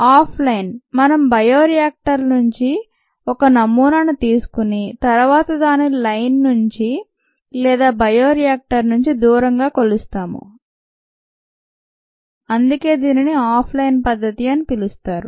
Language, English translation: Telugu, off line, we take a sample from bioreactors and then measure it away from the line or the away from the bioreactor, and that is why it is called off line method